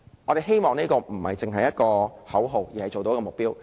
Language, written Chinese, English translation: Cantonese, 我們希望這不單是一個口號，而是能做到的目標。, We hope that it is not a slogan but an achievable target